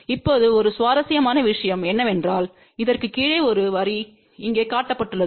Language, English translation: Tamil, Now, one of the interesting thing you can see that below this there is a line shown over here